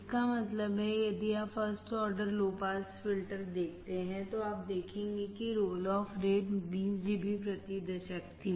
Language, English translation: Hindi, That means, if you see the first order low pass filter, you will see that the roll off rate was 20 dB per decade